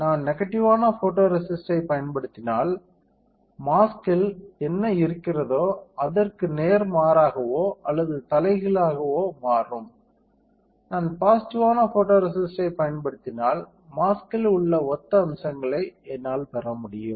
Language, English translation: Tamil, Opposite of whatever is there on the mask, if I use negative photoresist, I will get opposite of or reverse of whatever there is there on the mask; if I use positive photoresist I can have a similar features which are there on the mask all right